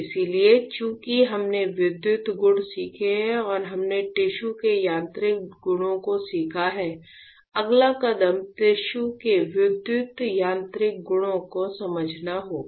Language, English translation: Hindi, So, since we have learn electrical properties and we have learn the mechanical properties of tissue; the next step would be to understand the electro mechanical properties of the tissue